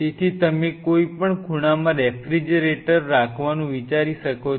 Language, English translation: Gujarati, So, you may think of having a refrigerator in one of the corners